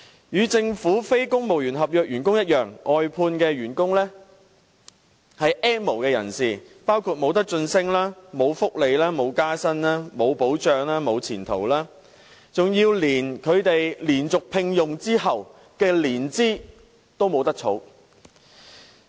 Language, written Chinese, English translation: Cantonese, 與政府非公務員合約員工一樣，外判員工是 "N 無"人士，包括無晉升、無福利、無加薪、無保障、無前途，甚至連他們連續獲得聘用的年期都不能計作年資。, Similar to the non - civil service contract staff in the Government outsourced workers are N have - nots having no promotion opportunities no welfare benefits no pay rise no protection and no prospects . Even the length of service in their continuous employment is not recognized